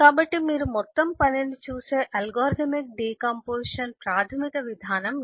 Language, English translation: Telugu, So this is the basic approach of decomposition: you look at the whole task